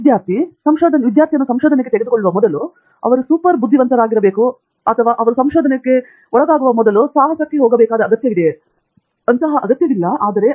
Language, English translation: Kannada, Abhijith, just tell me, is it necessary or important for a student to be super intelligent before they take up research or they should be getting into adventures before they can get into research